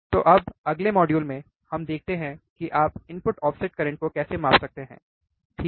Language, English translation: Hindi, So now, in the next module, let us see how you can measure the input offset current, alright